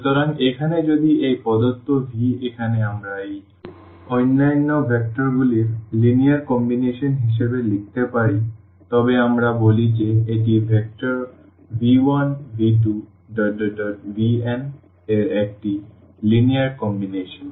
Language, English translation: Bengali, So, here if this given v here we can write down as a linear combination of these other vectors v then we call that this is a linear combination of the vectors v 1, v 2, v 3, v n